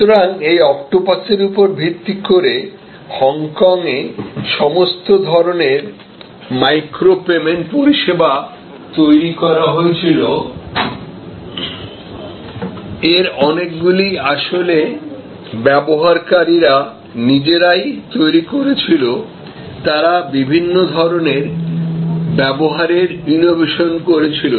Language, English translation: Bengali, So, based on this octopus, all kinds of micro payment services were developed in Hong Kong, many of those were actually created by the users themselves, they innovated many different types of usages